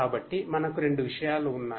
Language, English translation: Telugu, So, we have 2 things